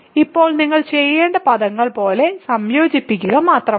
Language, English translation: Malayalam, So, now all you need to do is combine like terms